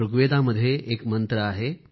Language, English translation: Marathi, There is a mantra in Rigved